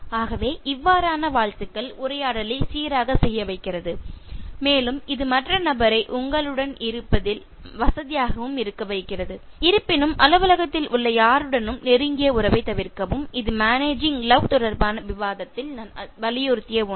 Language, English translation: Tamil, ” Okay and so on, so that greeting also is making the conversation go smooth and it is also making the other person feel comfortable with you however avoid intimate relationships with anyone in the office this is something that I insisted on the discussion with regard to managing love